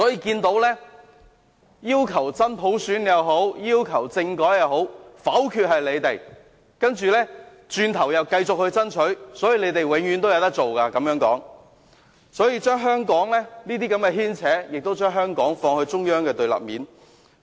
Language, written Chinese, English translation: Cantonese, 無論是真普選或政改，否決的都是反對派議員，但轉過頭來他們又繼續爭取，這樣他們永遠也有事做，而這些牽扯亦把香港放到中央的對立面。, Genuine universal suffrage or constitutional reform was invariably vetoed by opposition Members . After they rejected it they went on to fight for it . In doing so they were always able to keep themselves busy